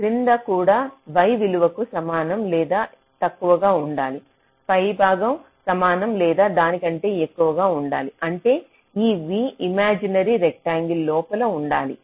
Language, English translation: Telugu, top should be greater than equal to that means this v should be inside that imaginary rectangle